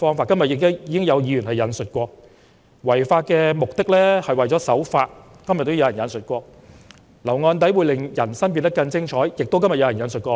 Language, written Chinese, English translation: Cantonese, "今天亦有議員引述："違法的目的，是為了守法"，又有人引述："留案底會令人生變得更精彩。, Some Member also quoted today the remark The objective of breaching the law is to obey the law . And then there was another quote Having a criminal record will enrich ones life